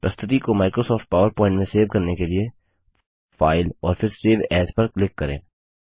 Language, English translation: Hindi, To save a presentation as Microsoft PowerPoint, Click on File and Save as